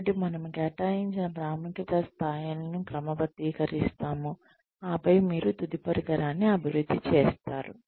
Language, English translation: Telugu, So, we sort of assigned, levels of importance, and then, you develop a final instrument